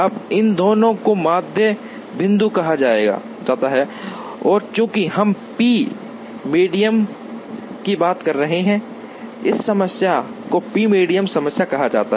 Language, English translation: Hindi, Now, these two are called the median points and since we are talking of p medians, this problem is called the p median problem